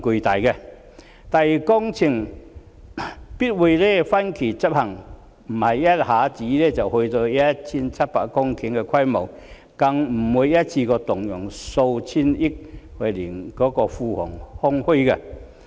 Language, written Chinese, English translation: Cantonese, 第二，工程必會分期執行，不是一下子便達致 1,700 公頃的規模，更不會一次過動用數千億元，令庫房空虛。, Second the works will definitely be implemented in phases . It is not the case that all 1 700 hectares will be reclaimed in one go still less that hundreds of billion dollars would have to be spent in one go hence exhausting the coffers